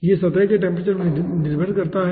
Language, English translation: Hindi, it depends on the surface temperature